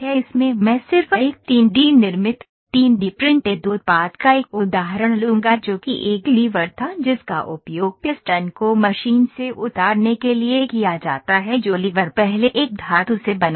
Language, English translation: Hindi, In this I will just take an example of a 3D manufactured, 3D printed product that was that is a lever it is used to take the piston off from a machine that lever was made of a metal before